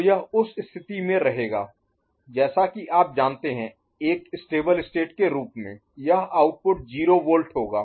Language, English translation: Hindi, So, it will remain in that place like you know, as a stable formation right, this output will be 0 volt